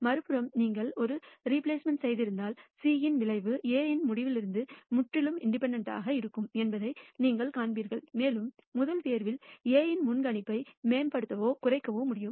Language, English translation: Tamil, If you have done A replacement on the other hand, you will nd that the outcome of C will be completely independent of outcome of A and you will not be able to improve or decrease the predictability of A in the first pick